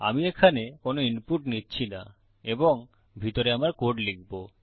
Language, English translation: Bengali, Were not taking any input here and inside Ill write my code